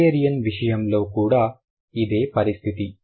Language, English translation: Telugu, Similar is the case with Hungarian